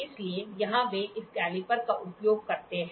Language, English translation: Hindi, So, here they use this caliper very much